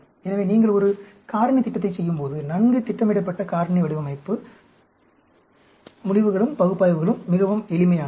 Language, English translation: Tamil, So, when you do a factorial plan, well planned out factorial design, the results, analysis also becomes very very simple